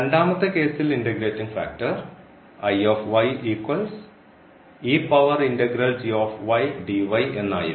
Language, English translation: Malayalam, In the other case, this was the integrating factor